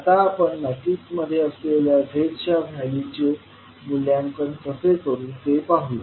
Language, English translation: Marathi, Now, let us see how we will evaluate the values of the Z quantities which we have seen in the matrix